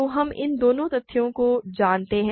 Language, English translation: Hindi, So, we know both of these facts